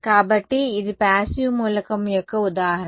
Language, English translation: Telugu, So, that is an example of a passive element